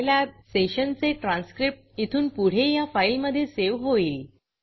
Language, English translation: Marathi, A transcript of the Scilab session from now onwards will be saved in this file